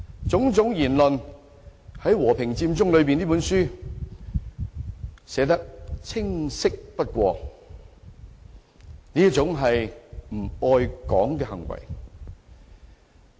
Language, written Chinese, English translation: Cantonese, 種種言論在《和平佔中理念書》中寫得再清晰不過，這是一種不愛港的行為。, All such remarks are clearly conveyed in Occupy Central with Love and Peace Manifesto . It was utterly not an act of love for Hong Kong